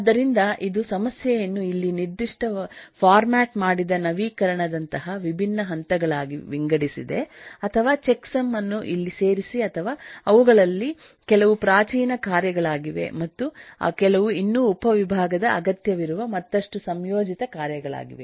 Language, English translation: Kannada, so in this it has eh divided the problem into very specific, different steps, like get formatted update as an here or add checksum as an here, or some of them are primitives tasks and some are still composite tasks which need further subdivision